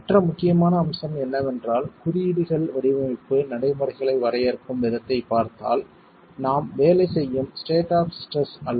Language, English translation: Tamil, The other important aspect is if you look at the way codes define design procedures, it is not at the state of stresses that we work